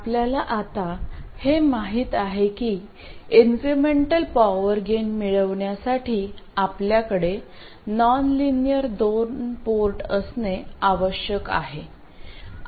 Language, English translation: Marathi, We now know that in order to have incremental power gain, we need to have a nonlinear 2 port